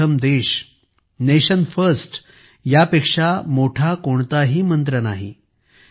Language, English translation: Marathi, Rashtra Pratham Nation First There is no greater mantra than this